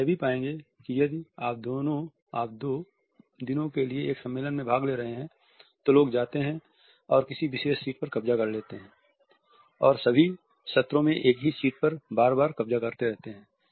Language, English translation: Hindi, You would also find that if you are attending a conference for two days people go and occupy a particular seat and keep on occupying the same seat repeatedly all the sessions